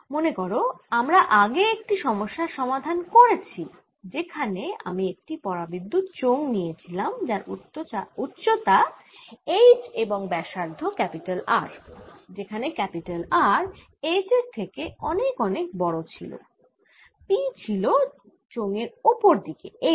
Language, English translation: Bengali, remember, earlier we had solved a problem where i had given you a dielectric cylinder with height h, radius r, r, much, much, much better than h and p going up